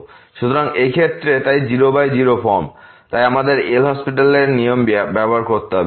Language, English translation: Bengali, So, in this case, so 0 by 0 forms we have to use the L’Hospital’s rule